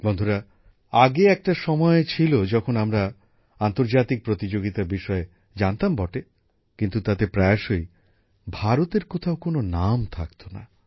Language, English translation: Bengali, Friends, earlier there used to be a time when we used to come to know about international events, but, often there was no mention of India in them